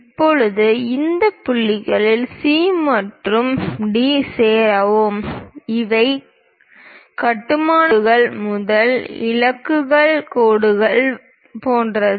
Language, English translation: Tamil, Now, join these points C and D; these are more like construction lines, very light lines